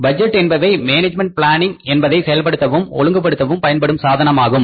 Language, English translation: Tamil, Budgets are the chief devices for compelling and disciplining management planning